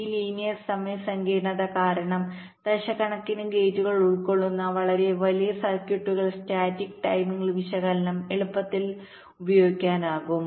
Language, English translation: Malayalam, because of this linear time complexity, the static timing analysis can be very easily used for very large circuits comprising of millions of gates as well